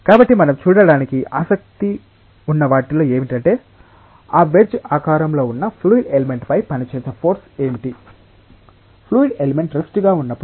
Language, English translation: Telugu, So, we are in what we are interested to see is that what are the forces, which may act on this wedge shaped fluid element, when the fluid element is at rest ok